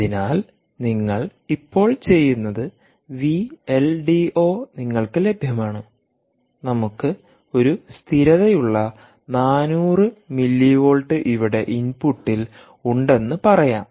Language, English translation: Malayalam, so what you now do is, moment v l d o is available to you from a stable, let us say, four hundred millivolt at the input